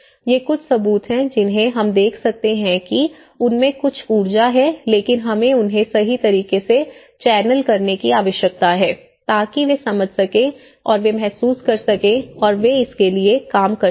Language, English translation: Hindi, These are some evidences, which we can see that they have some energy but we need to channel them in a right way so that they can understand and they can realize and they work towards it